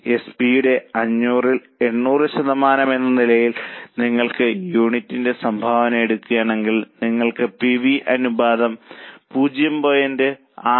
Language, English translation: Malayalam, If you take contribution per unit as a percentage of SP, that is 500 upon 800, you get PV ratio of 0